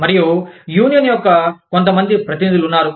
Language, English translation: Telugu, And, there are a few representatives of the union